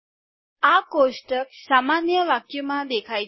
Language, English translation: Gujarati, This table appears in a running sentence